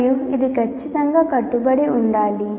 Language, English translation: Telugu, And this will have to be strictly adhered to